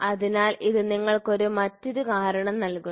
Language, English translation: Malayalam, So, it gives you a different reason